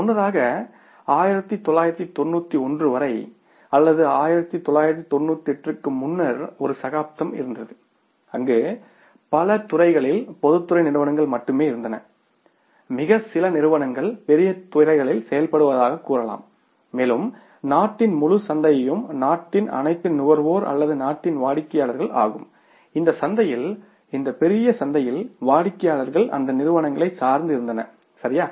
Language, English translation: Tamil, Earlier there was an era, till 1991 or before 1991 where in many sectors only public sector companies were there and maybe very few companies were operating in the larger sectors and means entire the market of the country, all consumers of the country or customers of the country in this market, in this huge market, they were dependent upon those companies